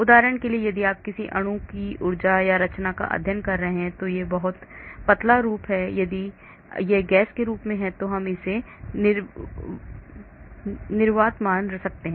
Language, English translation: Hindi, For example, if you are studying the energy or conformation of a molecule which is very dilute form or if it is in a gas form we can consider it as vacuum